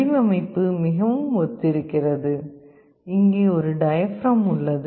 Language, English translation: Tamil, The design is very similar; here also there is a diaphragm